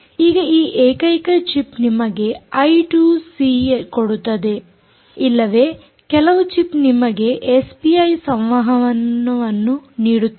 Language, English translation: Kannada, it appears now that this single r f i d chip offers you either i, two c or even some chips give you s p i communication